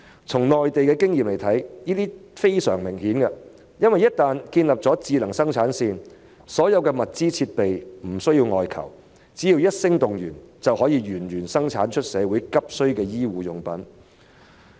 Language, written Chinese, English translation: Cantonese, 從內地的經驗來看，這是非常明顯的，因為只要建立了智能生產線，所有物資、設備便不假外求，只要一聲動員，就可以源源不絕地生產社會急需的醫護用品。, As evident from the experience of the Mainland as long as smart production lines are established all materials and equipment will not need to be purchased from outside . As soon as a mobilization order is issued medical supplies urgently needed by society can be incessantly produced